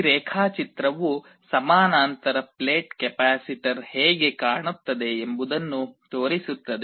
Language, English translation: Kannada, This diagram shows how a parallel plate capacitor looks like